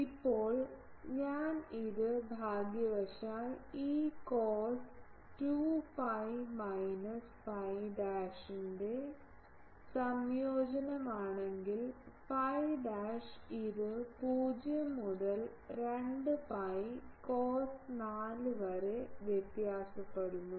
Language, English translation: Malayalam, Now, the if I put it here fortunately the integration of this cos 2 phi minus phi dash where, phi dash this varying from 0 to 2 pi cos 4